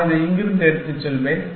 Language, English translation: Tamil, I will take this one from here